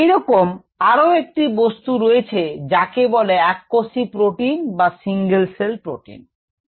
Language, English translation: Bengali, similar is the case with something called single cell protein